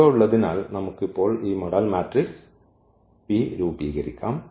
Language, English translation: Malayalam, So, having this we can now form this P the model matrix P